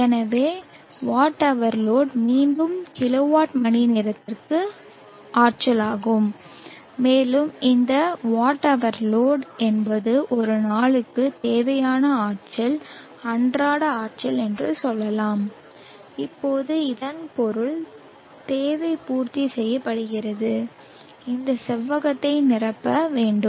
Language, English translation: Tamil, Now let us say that Wh load is the required energy and Wh load by H is the peak power requirement for the PV panel, so Whload is again energy in kilowatt hours and if let us say this Whload is the required energy daily energy for that day, now that would mean that the requirement is filling up has to fill up this rectangle